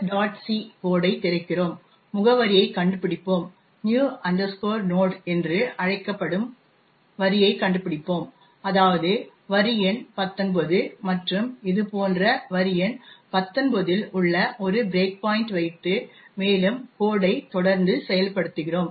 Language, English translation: Tamil, c code, find out the address, find out the line new node is call that is line number 19 and we put a breakpoint at line number nineteen like this and run the code using R